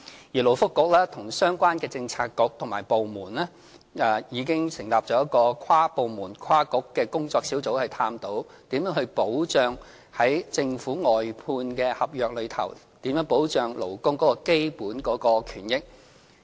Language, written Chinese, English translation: Cantonese, 勞工及福利局和相關的政策局和部門已經成立一個跨部門、跨局的工作小組，以探討如何在政府外判合約中保障勞工的基本權益。, The Labour and Welfare Bureau and relevant Policy Bureaux and departments have set up an interdepartmental and inter - bureau working group to explore how best the Government can protect the basic rights of workers in its outsourcing contracts